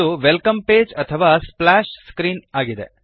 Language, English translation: Kannada, This is known as the welcome page or splash screen